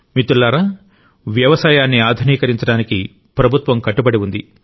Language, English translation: Telugu, Friends, the government is committed to modernizing agriculture and is also taking many steps in that direction